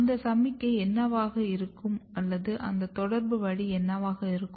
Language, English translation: Tamil, What could be that signal or what could be that communication way